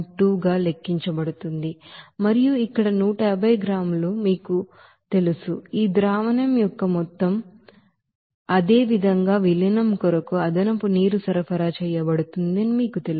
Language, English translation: Telugu, 2 and plus here 150 you know gram there total amount of this solution as well as there you know extra water is supplied for the dilution